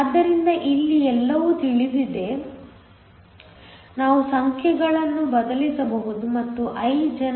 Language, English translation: Kannada, So, everything here is known, we can substitute the numbers and I gen works out to be 1